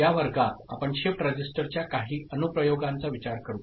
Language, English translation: Marathi, In this class, we shall consider certain Applications of Shift Register